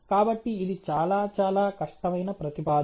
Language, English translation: Telugu, So, it is a very, very difficult preposition